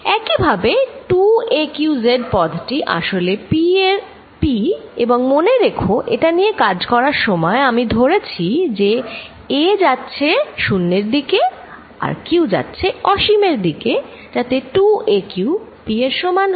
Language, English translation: Bengali, Similarly, 2 a q z this whole term combined with z is nothing but p and remember I am taking the limit that I am working under is that a goes to 0 and q goes to infinity, such that 2 q a goes to p